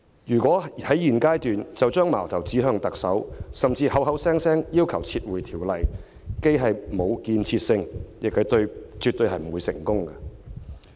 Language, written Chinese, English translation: Cantonese, 如果在現階段就把矛頭指向特首，甚至口口聲聲要求撤回修訂，既沒有建設性，亦絕不會成功。, If we now pinpoint the Chief Executive at this stage or even make claims to request withdrawal of the amendment it is neither constructive nor will it be successful